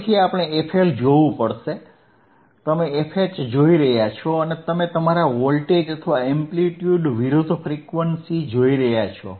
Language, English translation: Gujarati, Again, you hasve to looking at FLFL, you are looking at FH right and you are looking at the frequency versus your voltage or amplitude right;